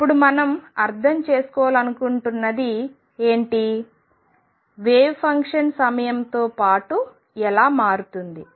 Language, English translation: Telugu, Now what we want to understand is how wave function changes with time